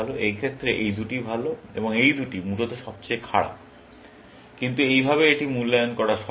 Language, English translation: Bengali, In this case, these two are better, and these two are the worst, essentially, but this way, it is easy to evaluate